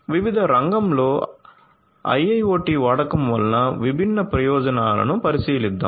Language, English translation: Telugu, So, let us look at their different advantages of the use of IIoT in the power sector